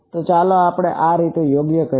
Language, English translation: Gujarati, So, let us call these like this right